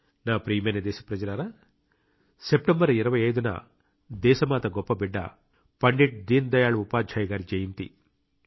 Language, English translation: Telugu, the 25th of September is the birth anniversary of a great son of the country, Pandit Deen Dayal Upadhyay ji